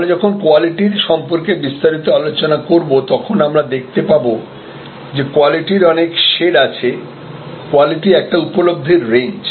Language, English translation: Bengali, When we discuss in detail about quality, we will see that there are different shades, quality is a range of perceptions